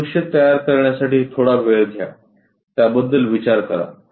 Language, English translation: Marathi, Take some time to construct these views, think about it